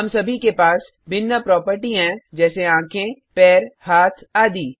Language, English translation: Hindi, We all have different properties like eyes, legs, hands etc